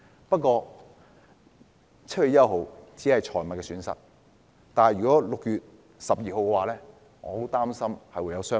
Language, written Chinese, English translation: Cantonese, 不過 ，7 月1日只是損失財物 ，6 月12日卻可能會發生傷亡。, Nevertheless we only suffer property loss on 1 July but there might be casualties on 12 June